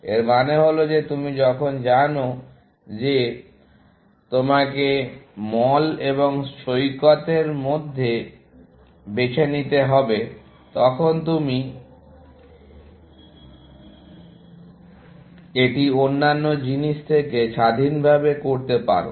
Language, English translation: Bengali, This means that when you know that you have to choose between mall and beach, you do this independent of the other things